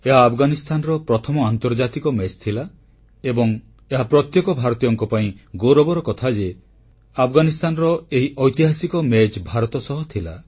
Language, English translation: Odia, It was Afghanistan's first international match and it's a matter of honour for us that this historic match for Afghanistan was played with India